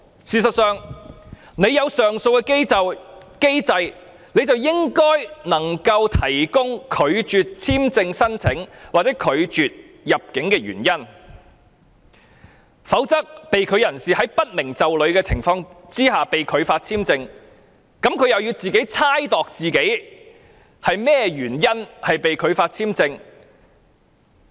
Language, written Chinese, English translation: Cantonese, 事實上，既然設有上訴機制，政府便理應提供拒絕入境的原因，否則在不明就裏的情況下被拒發簽證的人士，需要猜度自己因為甚麼原因被拒發簽證。, As a matter of fact given that an appeal mechanism has been put in place the Government is obliged to give reasons for refused entry otherwise the person whose visa application has been denied will make wild guesses about the reason of denial